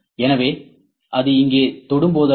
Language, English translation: Tamil, So, whenever it touches here